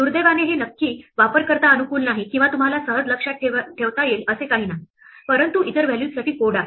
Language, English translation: Marathi, Unfortunately this is not exactly user friendly or something that you can easily remember, but there are codes for other values